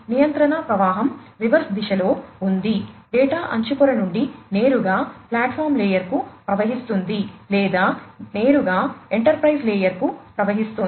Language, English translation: Telugu, The control flow is in the reverse direction, data could flow from, the edge layer to the platform layer directly, or could directly also flow to the enterprise layer